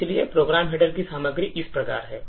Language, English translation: Hindi, So, the contents of the program header are as follows